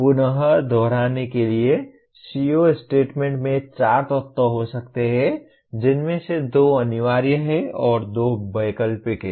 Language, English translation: Hindi, Again to reiterate the CO statement can have four elements out of which two are compulsory and two are optional